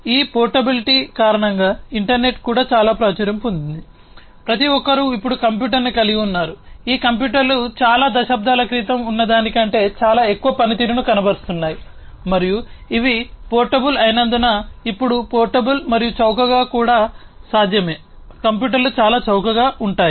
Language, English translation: Telugu, So, because of this portability the internet has also become very popular, everybody now owns a computer, these computers are very high performing than what is to exist several decades back, and also because these are portable now it is possible portable and cheap also these computers are very much cheap